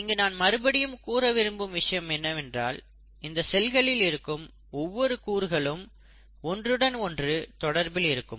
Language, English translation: Tamil, I again want to reiterate that each of these components of the cells are in crosstalk with each other